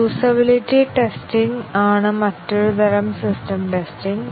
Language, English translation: Malayalam, One more type of system testing is the usability testing